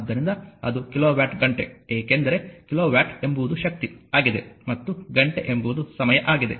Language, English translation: Kannada, So, that is kilowatt hour, because kilowatt is the power and hour is the time